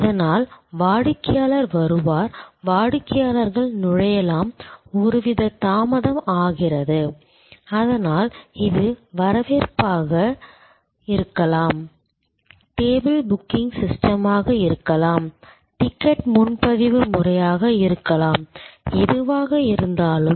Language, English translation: Tamil, So, customer comes in, customers entry, there is some kind of delay, so this can be the reception, this can be the table booking system, this can be the ticket booking system, whatever